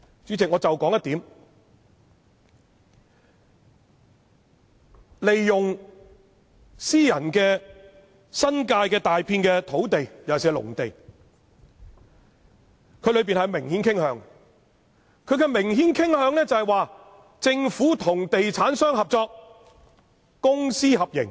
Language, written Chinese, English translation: Cantonese, 主席，我只說其中一點，關於利用新界大片私人土地，尤其是農地這方面，文件中的明顯傾向是政府與地產商合作，即公私合營。, Chairman let me explain this with just one point . Concerning the use of a large reserve of private land in the New Territories especially agricultural land an obvious inclination in the document is cooperation between the Government and real estate developers or in other words public - private partnership